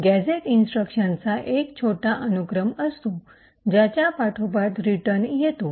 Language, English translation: Marathi, Now a gadget is a short sequence of instructions which is followed by a return